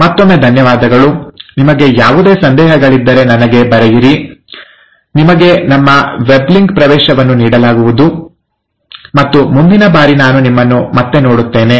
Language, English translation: Kannada, So thank you again, and do write back if you have any doubts, you will be given access to our weblink, and we’ll see you again next time